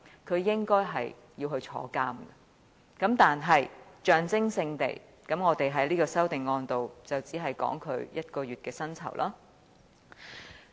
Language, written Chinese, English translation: Cantonese, 他應該要坐牢，但我們在這項修正案只能象徵式地提出削減他1個月的薪酬。, He should go to jail . However we can only propose in our amendments reducing his emoluments for a month as a symbolic gesture